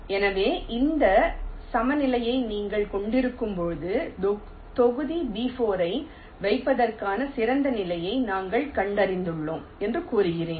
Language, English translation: Tamil, so when you have this equilibrium, we say that we have found out the best position to place block b four